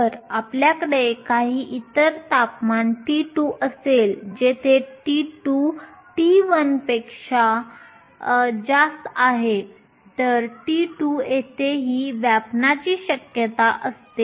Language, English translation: Marathi, If you have some other temperature t 2, this is the occupation probability at t 2 where t 2 is more than t 1